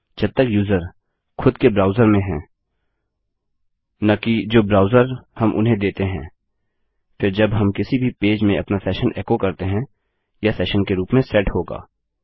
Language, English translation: Hindi, As long as the user is in their browser not the browser you evoked them with, then when we echo out our session in any page now, this will be set as a session